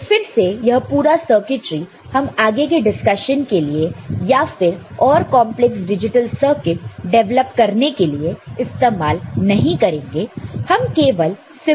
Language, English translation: Hindi, So, again the whole circuitry we shall not be using for our subsequent discussions or developing more complex digital circuits; we shall be using symbols